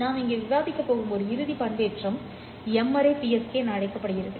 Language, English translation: Tamil, One final modulation that we are going to discuss here is called as M R E PSK